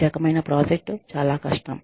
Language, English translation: Telugu, This type of project, is very difficult